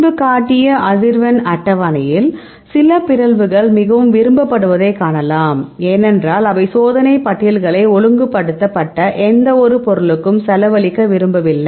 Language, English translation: Tamil, You can see the frequency table I showed this earlier so, you can see the some mutations are highly preferred because, they experimental lists they do not want to spend the money for a any on order mutant